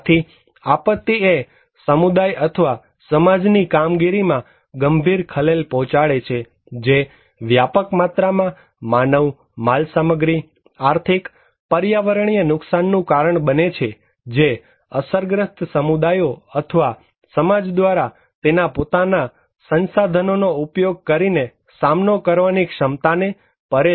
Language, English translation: Gujarati, So, a disaster is a serious disruption of the functioning of community or a society causing widespread human, material, economic, environmental losses which exceed the ability of the affected communities or society to cope using its own resources